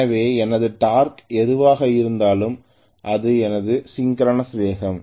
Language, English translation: Tamil, So this is my synchronous speed no matter what whatever is my torque